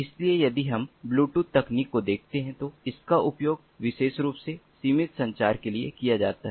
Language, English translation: Hindi, so if we look at the bluetooth technology, this is particularly used for short range communication, personal area network